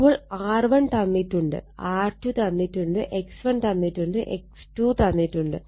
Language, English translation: Malayalam, So, R 1 is given R 2 is given, X 1 is given X 2 X 2 is given